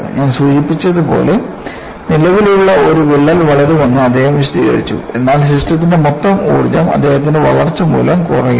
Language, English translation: Malayalam, And, as I mentioned, he formulated that an existing crack will grow; provided, the total energy of the system is lowered by its growth